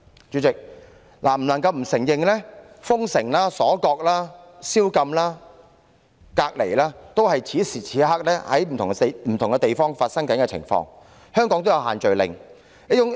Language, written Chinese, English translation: Cantonese, 主席，不能否認的是，封城、鎖國、宵禁和隔離等情況，此時此刻正在不同地方發生，香港亦有推行限聚令。, President it is undeniable that citywide nationwide lockdowns curfews isolation measures and so on are being taken currently in many different places and Hong Kong has also imposed social gathering restrictions